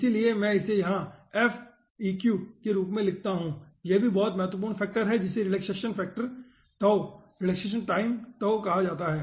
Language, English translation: Hindi, so that i write down here as f, eq, this is also very important factor which is called relaxation factor, tau, relaxation time, tau